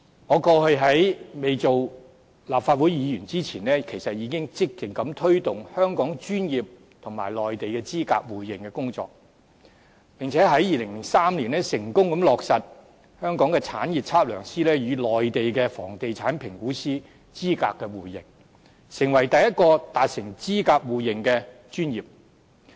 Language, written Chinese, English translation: Cantonese, 我過去在未成為立法會議員前，其實已積極推動香港與內地專業資格互認的工作，並且在2003年成功落實香港的產業測量師與內地的房地產評估師資格的互認，成為第一個達成資格互認的專業。, Before I was elected as a Legislative Council Member I have been proactively promoting mutual recognition of professional qualifications between Hong Kong and the Mainland . In 2003 the mutual recognition of qualifications between estate surveyors in Hong Kong and real estate appraisers in the Mainland was successfully accomplished and this is the first profession which has achieved mutual recognition of qualifications